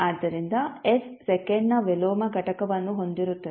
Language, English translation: Kannada, So, s will have a unit of inverse of second